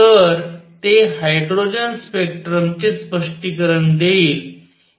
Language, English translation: Marathi, So, it will explain hydrogen spectrum